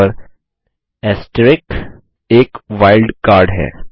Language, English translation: Hindi, And * is a wild card